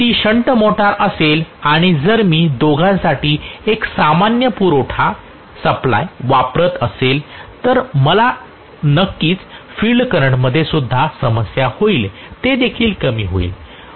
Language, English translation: Marathi, If it is a shunt motor and if I am using a common supply for both then I am definitely going to have a problem with the field current as well, that will also decrease